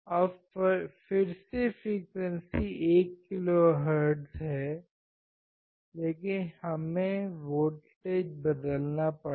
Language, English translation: Hindi, Now again 1 kilohertz is same, but we had to change the voltage